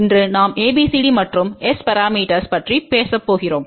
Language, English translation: Tamil, Today we are going to talk about ABCD and S parameters